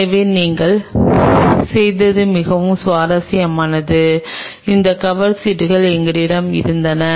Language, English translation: Tamil, So, what we did is very interesting we had these cover slips